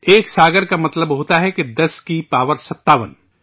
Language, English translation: Urdu, One saagar means 10 to the power of 57